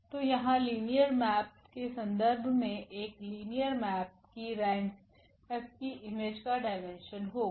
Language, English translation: Hindi, So, here in terms of the linear map, the rank of a linear map will be the dimension of the image of F